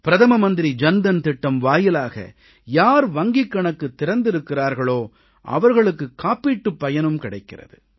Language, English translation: Tamil, And those who opened their accounts under the Pradhan Mantri Jan DhanYojna, have received the benefit of insurance as well